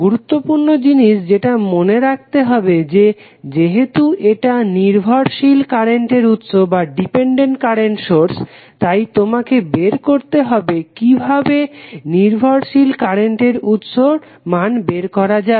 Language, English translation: Bengali, The important thing which you have to remember is that since it is dependent current source you have to find out how the value of this dependent current source would be calculated